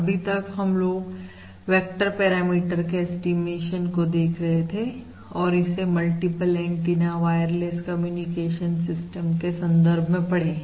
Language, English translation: Hindi, So currently we are looking at the estimation of a vector parameter and we tried to motivate this in the context of a multiple antenna wireless communication system